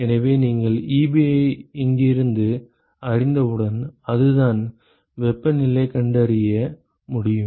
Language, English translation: Tamil, So, once you know Ebi from here you can find temperature that is it